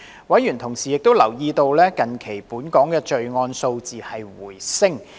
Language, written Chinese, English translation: Cantonese, 委員同時留意到，近期本港的罪案數字回升。, In the meantime members noted that the crime figure in Hong Kong recorded an increase recently